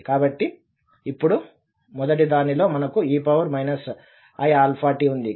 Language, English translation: Telugu, So in the first one we have minus i alpha t